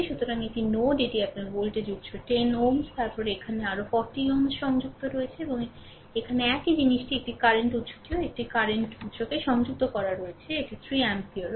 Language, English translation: Bengali, So, this is the node ah this is your voltage source at 10 ohm, then across here also another 40 ohm is connected, right and here also same thing a current source is also connected a current source it is also 3 ampere